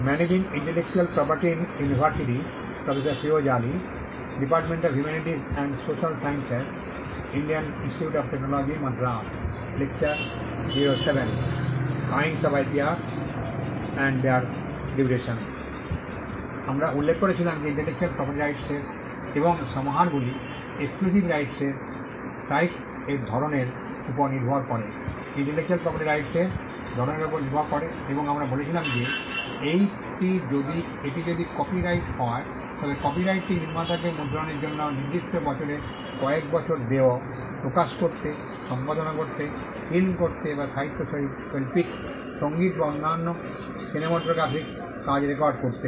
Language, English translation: Bengali, We were mentioning that the exclusive set of rights that an intellectual property right and compasses would also vary depending on the kind of intellectual property right and we were saying that if it is a copyright, then the copyright gives the creator fixed number of years to print, to publish, to perform, to film or to record literary artistic musical or other cinematographic works